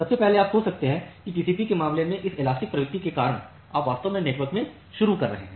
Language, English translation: Hindi, So, first of all you can think of that in case of TCP because of this elastic nature you are actually introducing jitter in the network